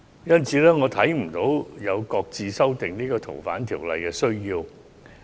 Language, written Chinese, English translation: Cantonese, 因此，我看不到有擱置修訂法例的需要。, Therefore I do not see the need to shelve the amendment legislation